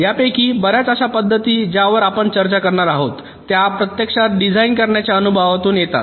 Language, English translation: Marathi, many of these methods that we will be discussing, they actually come out of design experience